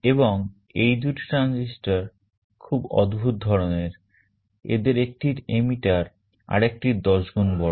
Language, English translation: Bengali, And these two transistors are very peculiar, one of them has an emitter which is 10 times larger than the other